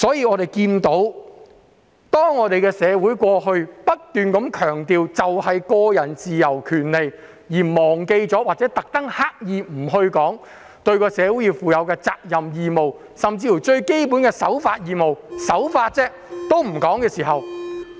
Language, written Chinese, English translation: Cantonese, 我們的社會過去不斷強調個人自由和權利，而忘記或刻意不提個人對社會應負的責任和義務，甚至連最基本的守法義務也不提。, Our society has all along been stressing individual freedom and rights . It has forgotten or deliberately ignored individuals responsibilities and obligations towards society and there was no mention of even the most basic obligation to abide by the law either